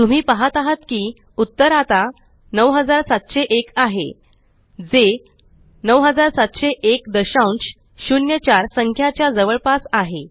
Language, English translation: Marathi, You see that the result is now 9702 which is the higher whole number